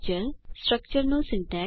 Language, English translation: Gujarati, Syntax of a structure